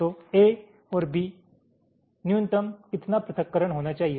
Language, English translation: Hindi, so, a and b: minimum, how much separation it should be